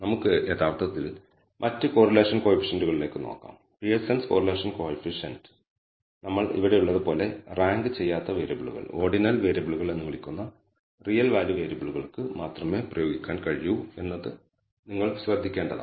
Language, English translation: Malayalam, So, let us actually look at other correlation coefficients, you should note that Pearson’s correlation coefficient can be applied only to what we call not ranked variables ordinal variables real value variables like we have here